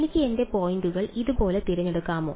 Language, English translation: Malayalam, Can I choose my points like this